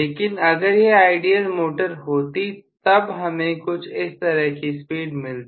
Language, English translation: Hindi, But it had been the ideal motor I would have gotten the speed somewhat like this